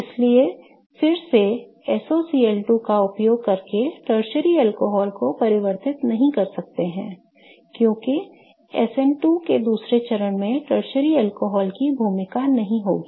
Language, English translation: Hindi, So, again we cannot do a tertiary alcohol and convert a tertiary alcohol using SOCL 2 because that second step of SN2 will not be facilitated by a tertiary alcohol